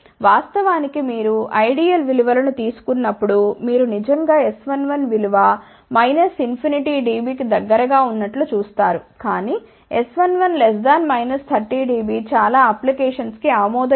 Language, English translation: Telugu, In fact, when you take the ideal values you will actually see S 1 1 is close to minus infinity dB, but S 1 1 less than minus 30 dB is acceptable for most of the application